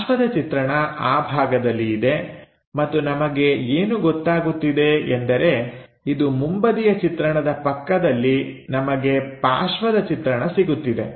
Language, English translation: Kannada, Side view is on this side and what we know is next to front view, we will be having this side view